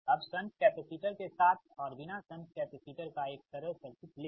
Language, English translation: Hindi, now take a simple circuit right, with and without shunt capacitor